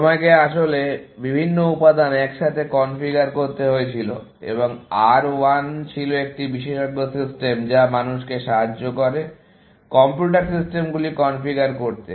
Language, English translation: Bengali, You had to actually configure various components together, and R 1 was an expert system, which helped people, configure computer systems